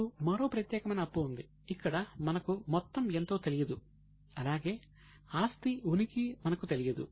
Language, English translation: Telugu, Now, there is one more special type of liability where neither we know the amount nor we know the existence of asset